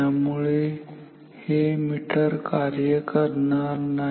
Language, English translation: Marathi, So, this meter will not work